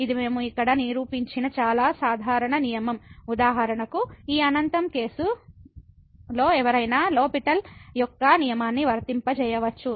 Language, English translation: Telugu, So, this is a very general rule which we are not proving here for example, this infinity case, but one can apply the L’Hospital’s rule their too